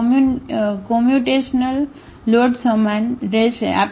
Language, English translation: Gujarati, Also the computational load will remain the same